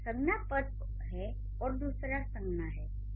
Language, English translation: Hindi, So, one is a noun phrase, the other one is a noun